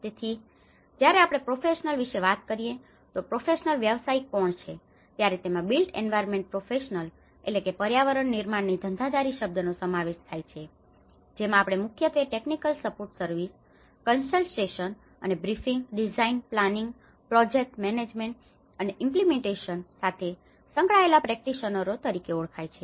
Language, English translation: Gujarati, So, when we talk about the professional, who is a professional, the term built environment professional includes those we refer to as practitioners primarily concerned with providing technical support services, consultation and briefing, design, planning, project management, and implementation